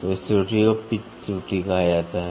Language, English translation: Hindi, So, this error is called as pitch error